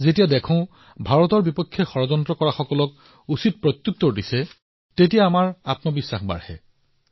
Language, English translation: Assamese, When we witness that now India gives a befitting reply to those who conspire against us, then our confidence soars